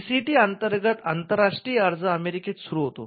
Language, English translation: Marathi, So, your international application under the PCT begins in the United States